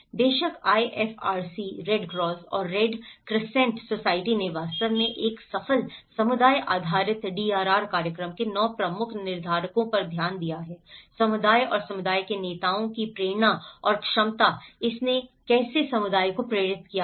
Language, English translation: Hindi, Of course, the IFRC; the Red Cross and Red Crescent Societies have actually looked at the 9 key determinants of a successful community based DRR program; the motivation and capacity of the community and community leaders so, how it has motivated the community